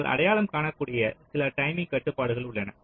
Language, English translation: Tamil, so there are there are a few timing constraints you can identify